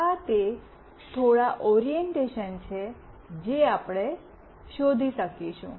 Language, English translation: Gujarati, These are the few orientations that we will find out